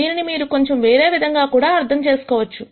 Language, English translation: Telugu, You can also interpret this slightly di erently